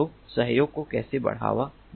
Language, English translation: Hindi, so how, how to promote cooperation